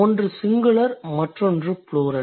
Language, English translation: Tamil, One is singular, the other one is plural